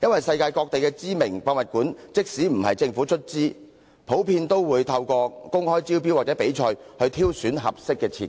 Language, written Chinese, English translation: Cantonese, 世界各地知名的博物館，即使不是由政府出資，通常也會透過公開招標或比賽挑選合適的設計。, It is a common practice that renowned museums in the world even those not funded by the government will select their designers through open tender or competition